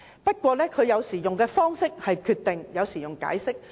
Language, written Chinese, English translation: Cantonese, 不過，它採用的方式有時是"決定"，有時是"解釋"。, Nevertheless it has adopted the approach of decisions in some cases and interpretations in others